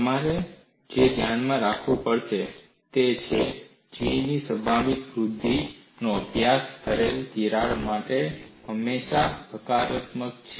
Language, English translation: Gujarati, What will have to keep in mind is G is always positive for a crack studied for its probable growth